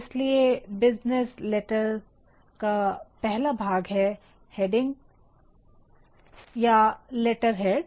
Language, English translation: Hindi, So, the very first part of a business letter, is a heading or letterhead